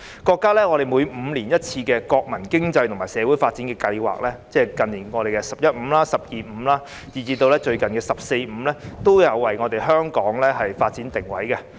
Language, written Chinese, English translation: Cantonese, 國家每5年一次的國民經濟和社會發展五年規劃，即是近年"十一五"、"十二五"，以至最近的"十四五"，均有為香港的發展定位。, The Five - Year Plan for National Economic and Social Development of the nation is announced once every five years . Recently in the 11 the 12 and even the latest 14 Five - Year Plans they all have a chapter for the positioning of the development of Hong Kong